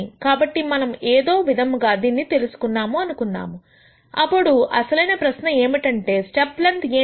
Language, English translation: Telugu, So, let us assume that we have somehow gured this out, then the real question is what is the step length